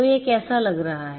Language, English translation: Hindi, So, how it is going to look like